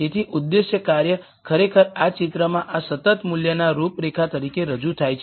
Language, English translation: Gujarati, So, the objective function is actually represented in this picture as this constant value contours